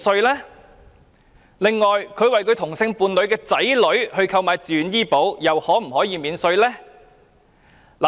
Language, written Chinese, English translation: Cantonese, 任何人為同性伴侶的子女購買自願醫保，又能否獲得扣稅？, Can a person who purchased a VHIS policy for the children of hisher same - sex partner be offered tax deduction too?